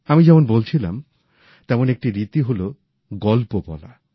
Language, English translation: Bengali, And, as I said, one such form is the art of storytelling